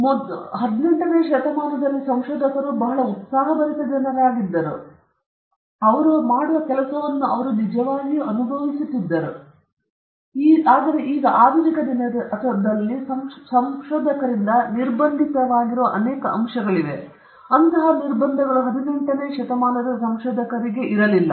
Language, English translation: Kannada, Most of the researchers of earlier days were very spirited people, and they really enjoyed what they were doing, and they were not constrained by several factors which a modern day, contemporary day researcher, are constrained by